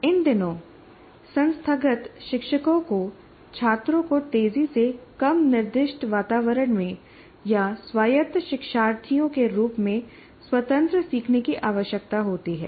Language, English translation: Hindi, And these days, institutional educators require students to undertake independent learning in increasingly less directed environments or autonomous learners